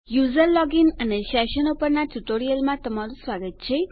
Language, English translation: Gujarati, Welcome to the tutorial on user login and sessions